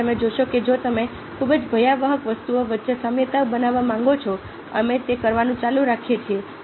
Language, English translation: Gujarati, so you see that if you want to go for making, creating analogies among very dispiriting things, we keep on doing that